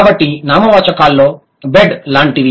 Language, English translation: Telugu, So, the nouns like bed